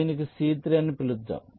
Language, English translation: Telugu, lets call it c three